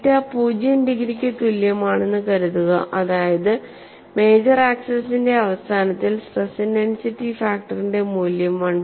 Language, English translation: Malayalam, And suppose theta equal to 0 degrees that is at the end of the major axis, the value of stress intensity factor is given as 1